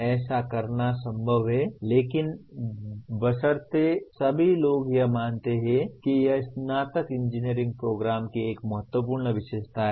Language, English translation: Hindi, It is possible to do so but provided all the concern people do believe that is an important feature of undergraduate engineering program